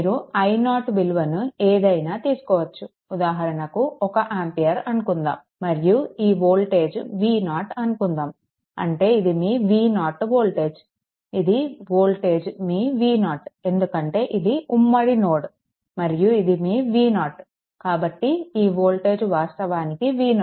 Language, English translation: Telugu, You can take i 0 any values say 1 ampere right, 1 ampere and this voltage this voltage say it is V 0 V 0 means this is the voltage your V 0 right, this is the voltage your V 0 right, because this is a common node and this is your V 0; so, this voltage actually V 0